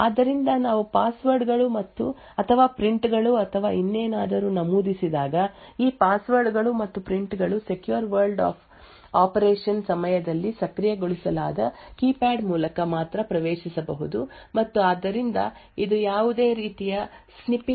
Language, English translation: Kannada, So, this would permit that whenever we enter passwords or prints or anything else so these passwords and prints are only accessible through a keypad which is enabled during the secure world of operation and thus it is also secure from any kind of snipping attacks